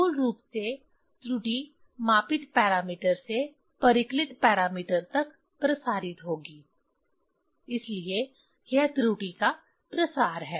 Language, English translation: Hindi, There are basically error will propagate from the measured parameter to the calculated parameter, so that is a propagation of error